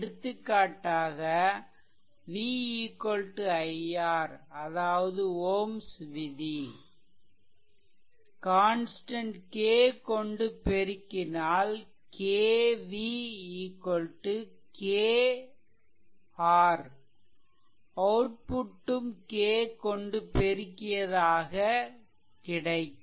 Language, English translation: Tamil, For example, where you make v is equal to i R say in ohms law right, then if you multiplied by constant k way increase way decrease, so KV is equal to K I R, so will come to that